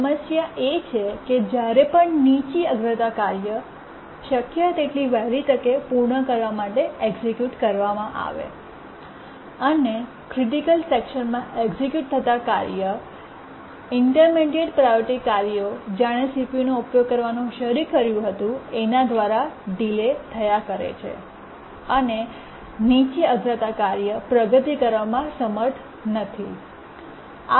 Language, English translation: Gujarati, If you remember a low priority task which was executing in the critical section was getting delayed by intermediate priority tasks which has started to use the CPU and the low priority task could not make progress